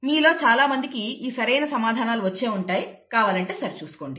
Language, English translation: Telugu, I am sure many of you have the right answer, you can check this